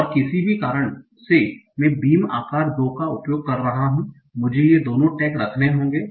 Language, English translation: Hindi, And because I am using a beam size of two, I will have to keep both these texts